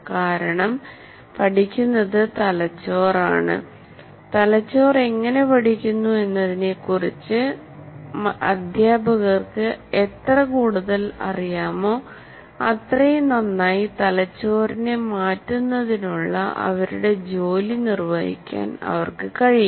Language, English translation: Malayalam, And the more they know about how it learns, because it's a brain that learns, the more they know about how it learns, the more they know about how it learns, the more successful they can perform their job of changing the brain